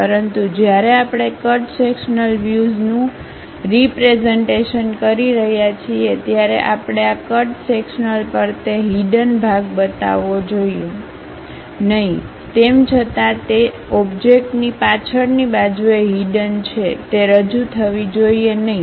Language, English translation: Gujarati, But, when we are representing cut sectional view, we should not show that hidden part on this cut sectional thing; though it is a back side of that object as hidden, but that should not be represented